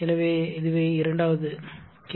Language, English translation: Tamil, So, this is second question